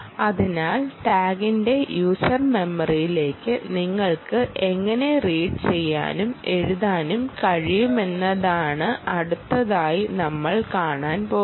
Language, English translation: Malayalam, so now, next demonstration is to see how you can read and write into user memory of the tag